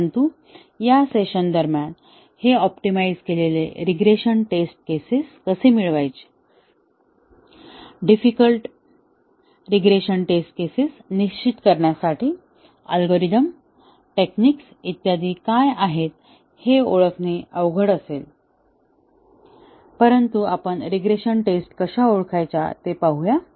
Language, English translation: Marathi, But during this session it will be out of scope to identify, how to get these optimized regression test cases, what are the algorithms, techniques, etcetera, to determine the optimized regression test cases, but we will look at how to identify the regression tests